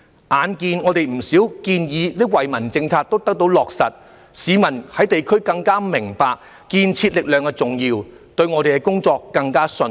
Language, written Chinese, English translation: Cantonese, 眼見我們不少建議及惠民政策也得到落實，市民在地區更加明白建設力量的重要，對我們的工作更加信任。, Having seen that many of our proposals and policies that are beneficial to the public are implemented people in the community are more aware of the importance of the constructive forces and have more trust in our work